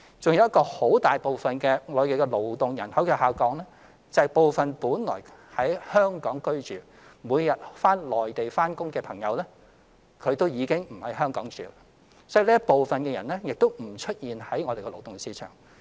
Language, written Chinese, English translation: Cantonese, 還有一類很大部分的勞動人口下降，是部分原居於香港並每日到內地工作的朋友，已經不在香港居住，所以這一部分人亦不在勞動市場出現。, Another major reason for the decline of the labour force is that some people who used to live in Hong Kong and travel daily to the Mainland for work no longer live in Hong Kong . So these people are not included in labour force